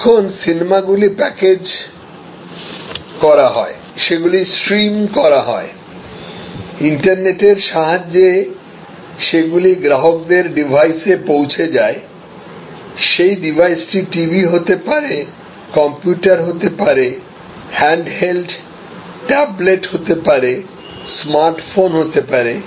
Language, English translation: Bengali, Now, movies are packaged, they are streamed, delivered over the net on to the device of the customer, could be TV, could be computer, could be a handheld tablet, could be phone a smart phone